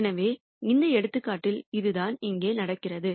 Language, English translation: Tamil, So, that is what is happening here in this example